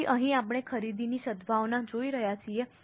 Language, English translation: Gujarati, So, here we are looking at a purchase goodwill